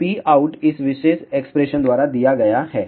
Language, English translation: Hindi, So, P out is given by this particular expression